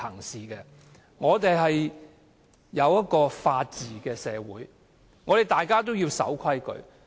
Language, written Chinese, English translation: Cantonese, 香港是法治社會，大家都要守規矩。, Hong Kong is governed by the rule of law and everyone is bound by the rules